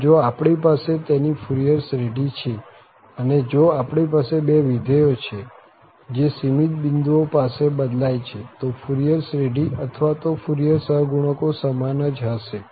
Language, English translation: Gujarati, So, if we have the respective Fourier series, so if we have two functions which differ at finitely many points then their Fourier series or their Fourier coefficients will be the same